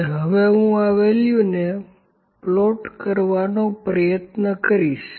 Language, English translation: Gujarati, And now I will try to plot these values